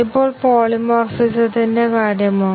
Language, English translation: Malayalam, Now, what about polymorphism